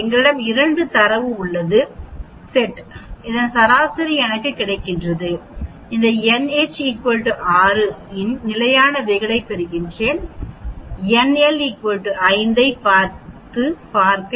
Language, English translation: Tamil, We have 2 data sets I get the mean of this, I get the standard deviation of this n h is equal to 6, n l is equal to see 5